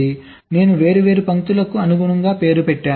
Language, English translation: Telugu, so i have named the different lines accordingly